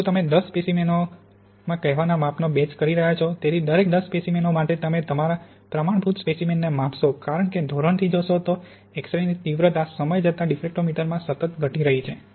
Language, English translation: Gujarati, If you are doing a batch of measurements of say ten samples, therefore for every ten samples you measure your standard sample because the X ray intensity from the standard diffractometer is continuously decreasing over time